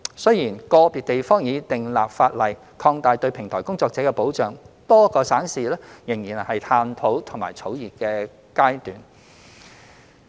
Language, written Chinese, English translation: Cantonese, 雖然個別地方已訂立法例擴大對平台工作者的保障，但多個省市則仍在探討及草擬階段。, While some jurisdictions have enacted legislation to extend protection to platform workers many provinces and cities in our country are still at the stage of exploring and drafting the relevant legislation